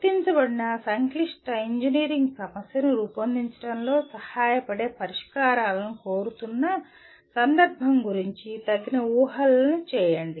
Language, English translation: Telugu, Make appropriate assumptions, especially about the context in which the solutions are being sought that help formulate an identified complex engineering problem